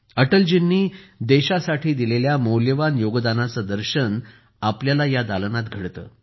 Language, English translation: Marathi, In Atal ji's gallery, we can have a glimpse of his valuable contribution to the country